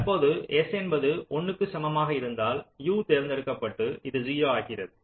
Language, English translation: Tamil, now, if s equal to one, then u is selected and this become zero, so this y is selected